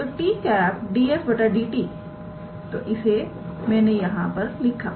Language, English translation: Hindi, So, ds dt times t cap, so, that I have written here